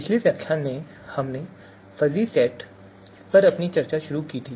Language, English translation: Hindi, So in previous lecture we started our discussion on fuzzy sets